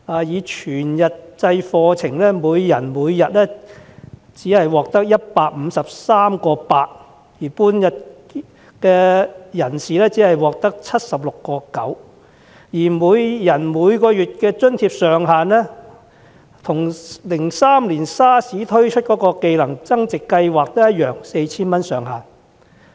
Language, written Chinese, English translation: Cantonese, 以全日制課程計，每人每天只能獲發 153.8 元津貼，修讀半日制的人士只能獲得 76.9 元，每人每月的津貼上限與2003年 SARS 期間推出的"技能增值計劃"同樣是 4,000 元。, The amount of subsidy granted per person per day is 153.8 for full - time programmes and 76.9 for half - day programmes up to a monthly cap of 4,000 same as that of the Skills Enhancement Project introduced during the 2003 SARS outbreak